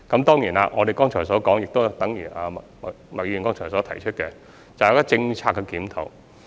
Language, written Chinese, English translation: Cantonese, 當然，正如我剛才所說，亦等於麥議員剛才所提出的，就是政策檢討。, Certainly as I just said and as Ms MAK also said just now this is about policy review